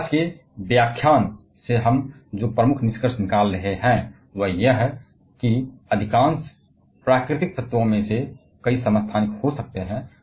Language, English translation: Hindi, And the major conclusion that we are having from today's lecture is that, most of the natural elements can have several isotopes, because of the presence of different number of neutrons in the nucleus